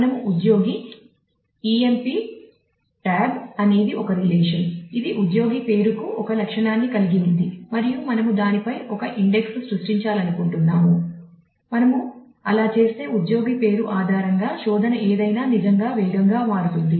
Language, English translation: Telugu, So, we are saying employee emp tab is a is a relation which has an attribute ename the employee name and we want to create an index on that if we do that then any search that is based on the employee name will become really fast